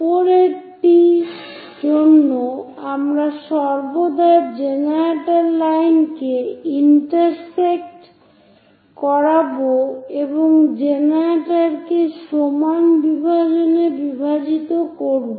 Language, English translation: Bengali, So, for the top one, we always have to intersect generator generator line and the equal division made on one of the generator